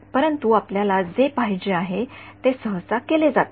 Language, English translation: Marathi, But what you want is usually done in practice is